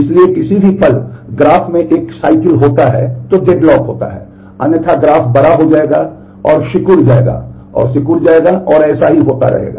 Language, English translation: Hindi, So, if at any instant the graph has a cycle then there is a deadlock; otherwise the graph will grow and shrink grow and shrink it will keep on happening that way